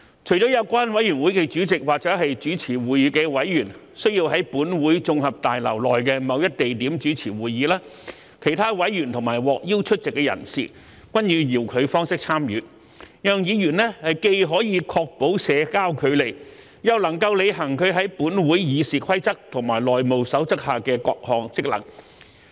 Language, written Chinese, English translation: Cantonese, 除了有關委員會的主席或主持會議的委員須在本會綜合大樓內的某一地點主持會議，其他委員及獲邀出席的人士均以遙距方式參與，讓議員既可確保社交距離，又能履行其在本會《議事規則》及《內務守則》下的各項職能。, Except for the chairman of a relevant committee or the member presiding who shall chair the meeting in a venue within the Legislative Council Complex other members and persons invited to attend the meeting may participate remotely so that Members can ensure social distancing while performing their various functions under RoP and the House Rules of the Council